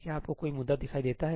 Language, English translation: Hindi, Do you see any issues